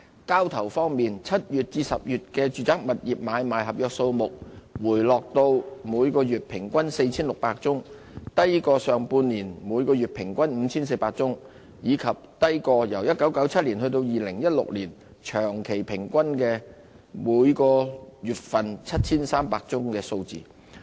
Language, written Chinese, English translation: Cantonese, 交投方面 ，7 月至10月的住宅物業買賣合約數目回落至每月平均約 4,600 宗，低於上半年的每月平均 5,400 宗，以及低於1997年至2016年長期平均的每月 7,300 宗的數字。, In terms of transactions the average number of agreements for sale and purchase of residential building units went down to some 4 600 per month between July and October lower than the monthly average of 5 400 in the first half of this year and the long - term monthly average of 7 300 between 1997 and 2016